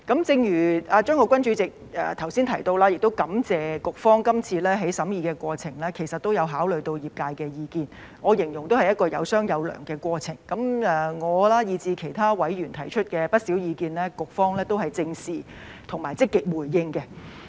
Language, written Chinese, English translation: Cantonese, 正如法案委員會主席張國鈞議員剛才提到，我亦感謝局方今次在審議過程中，其實也有考慮業界的意見，我形容是"有商有量"的過程，我以至其他委員提出的不少意見，局方都正視及積極回應。, As the Chairman of the Bills Committee Mr CHEUNG Kwok - kwan has said I am also grateful to the Bureau for taking into account the views of the profession in the course of scrutiny . I describe it as a communicative exchange to talk things through . The Bureau has taken seriously and responded proactively to some views raised by me and other members